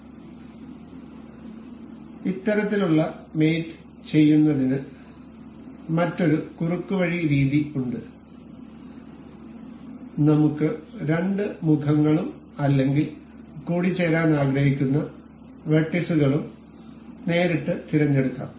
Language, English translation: Malayalam, So, there is another shortcut method for doing this kind of mate is we can select directly select the two options the two faces or the vertices that we want to mate